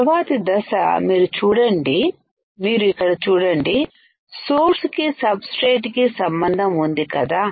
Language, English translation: Telugu, Next step is you see here, there is a connection between source and the substrate right